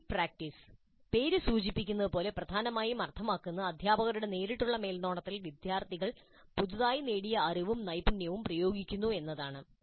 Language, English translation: Malayalam, The guided practice as the name implies essentially means that students practice the application of newly acquired knowledge and skills under the direct supervision of the teacher